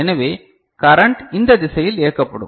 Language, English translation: Tamil, So, the current will be directed in this direction